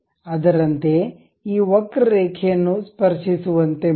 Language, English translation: Kannada, Similarly, pick this curve line make it tangent